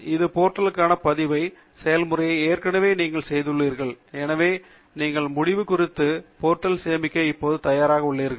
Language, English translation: Tamil, You have already performed the registration process for this portal, so you are now ready to save it to the End Note portal